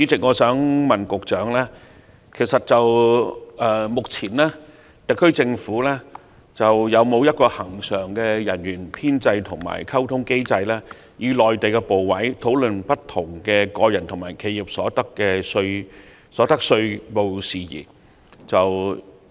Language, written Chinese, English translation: Cantonese, 我想問局長，特區政府目前有否恆常人員編制和溝通機制，以便與內地部委討論各種個人和企業所得稅事宜？, I would like to ask the Secretary whether the SAR Government currently has a permanent establishment and communication mechanism to facilitate discussion of matters relating to individual income tax and enterprise income tax with ministerial departments in the Mainland